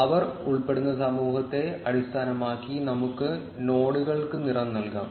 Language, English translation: Malayalam, Let us color the nodes based on the community, which they belong to